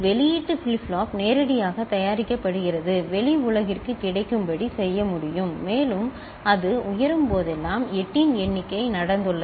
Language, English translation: Tamil, The output flip flop directly is made, can be made available to the outside world and whenever it goes high the means count of 8 has taken place